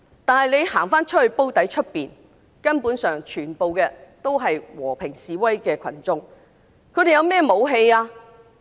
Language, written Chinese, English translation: Cantonese, 但在"煲底"外面，全部都是和平示威的群眾，他們有甚麼武器？, But outside that Drum area people were protesting peacefully . What weapon did they have?